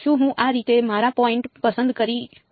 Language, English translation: Gujarati, Can I choose my points like this